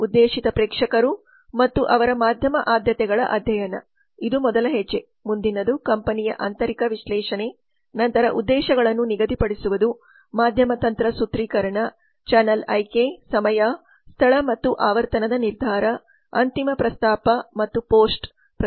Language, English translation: Kannada, so what are the steps in media planning now the study of target audience and its media preferences this is the first step next is the internal analysis how the company then setting objectives media strategy formulation channel selection decision on timing space and frequency final proposal and the post campaign review so these are the steps in media planning